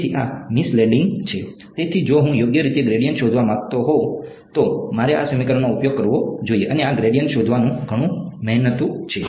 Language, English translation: Gujarati, So, this is misleading; so, if I wanted to correctly find out the gradient, I should use this equation and finding this gradient is a lot of hard work ok